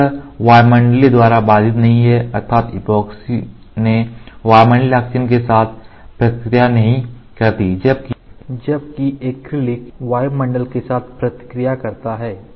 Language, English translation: Hindi, So, this is not inhibited by atmospheric or so it does not react with acrylic reacted with atmosphere epoxy did not react with atmospheric oxygen